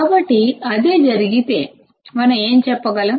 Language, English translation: Telugu, So, if that is the case what can we say